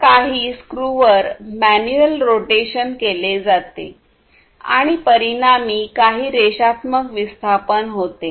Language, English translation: Marathi, So, manual rotation is performed on some screws or whatever and consequently there is some linear displacement